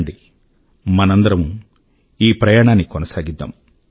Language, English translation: Telugu, Come, let us continue this journey